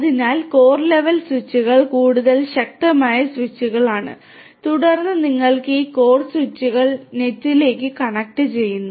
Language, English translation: Malayalam, So, these core level switches are even more powerful switches and then you have these core switches connect to the internet connect to the internet